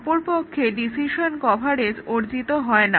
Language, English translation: Bengali, So, decision coverage is not achieved